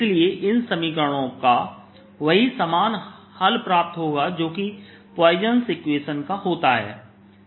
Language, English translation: Hindi, therefore the equation has the same solution, or similar solution, as for the poisson's equation